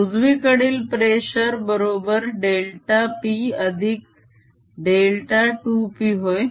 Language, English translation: Marathi, the pressure on write hand side is delta p plus delta two p